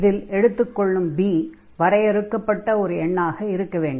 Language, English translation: Tamil, Naturally, b is some finite number we are talking about